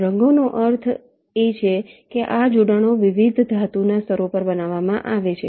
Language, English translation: Gujarati, colors means these connections are laid out on different metal layers